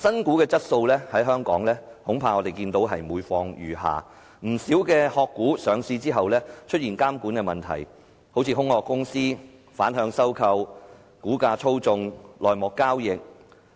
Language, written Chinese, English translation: Cantonese, 我們看到香港的新股質素恐怕是每況愈下，不少"殼股"上市之後出現監管的問題，好像空殼公司、反向收購、股價操縱、內幕交易。, We are afraid to see the steady deterioration in the quality of newly listed shares . Many regulatory problems concerning the shares of shell companies after these companies are listed such as the reverse takeover of shell companies stock price manipulation and insider trading